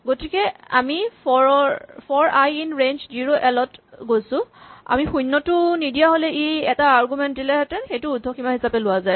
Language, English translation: Assamese, So, we go for i in the range 0 to length of l, so if we do not give a 0 it will give only a one argument this is taken as the upper bound